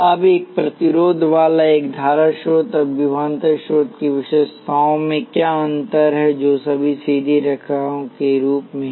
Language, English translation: Hindi, Now what distinguishes the characteristics of a resistor, a current source and voltage source, all of which as straight lines